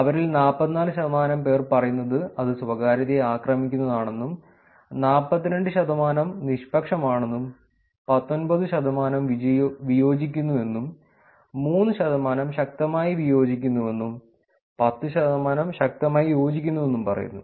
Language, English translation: Malayalam, 44 percent of them say, that it is privacy invasive, 42 percent neutral, disagree is 19 percent, strongly disagree is 3 percent, and strongly agree is 10 percent